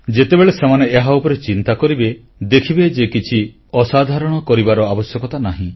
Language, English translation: Odia, If you'll start paying attention to it, you will see that there is no need to do anything extraordinary